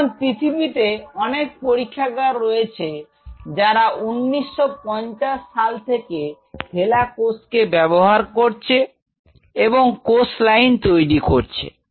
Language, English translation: Bengali, Now, there are several labs in the world who use hela cells somewhere in 19 50 these whole cells line has developed